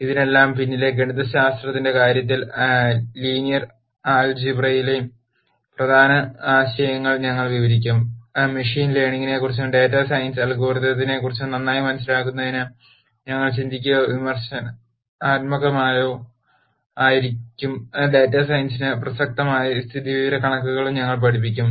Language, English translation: Malayalam, In terms of the mathematics behind all of this we will describe important concepts in linear algebra that we think or critical for good understanding of machine learning and data science algorithms we will teach those and we will also teach statistics that are relevant for data science